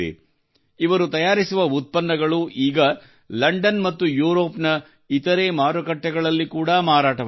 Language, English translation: Kannada, Today their products are being sold in London and other markets of Europe